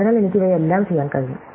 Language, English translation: Malayalam, So, I can do all of these and so on